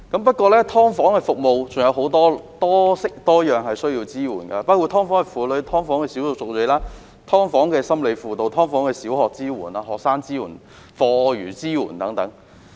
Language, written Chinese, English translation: Cantonese, 不過，"劏房"的服務需要多式多樣的支援，包括"劏房"的婦女、"劏房"的少數族裔、"劏房"的心理輔導、"劏房"的小學支援、學生支援及課餘支援等。, However services related to subdivided units require a wide range of support including support for women and ethnic minorities living in subdivided units; psychological counselling services for subdivided unit households; support for the relevant primary schools and students after - school support and so on